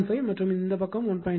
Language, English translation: Tamil, 5 this is also 1